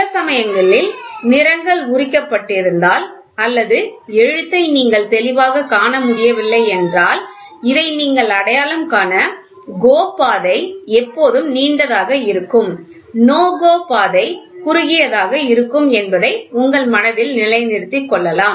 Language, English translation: Tamil, So, suppose if the paint peels off or you are not able to clearly see the writing, then the next thing which should strike your mind is GO gauge will always be longer no GO gauge will be shorter